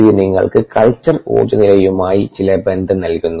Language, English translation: Malayalam, this is something that gives you some relationship to the culture energy status